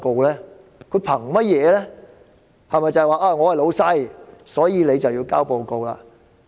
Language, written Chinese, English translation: Cantonese, 是否他們是"老闆"，所以她便要交報告？, Does it mean that since they are the bosses she has to submit a report?